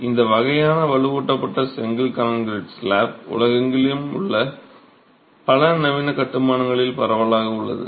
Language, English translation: Tamil, So, this sort of a reinforced brick concrete slab is something that is becoming prevalent in several modern constructions across the world